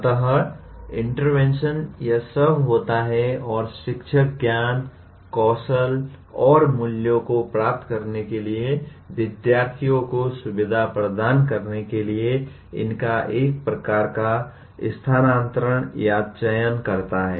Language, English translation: Hindi, So the interventions consist of this and the teacher chooses a subset of these to kind of transfer or rather to facilitate students to acquire knowledge, skills and values